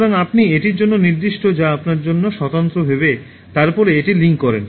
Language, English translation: Bengali, So, you identify the one that is distinctive for you and then link it